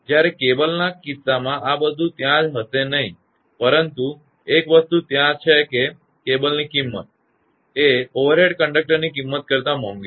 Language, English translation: Gujarati, Whereas, in the case of cable that those things will not be there, but one thing is there that cable is expensive than your this thing; the overhead conductor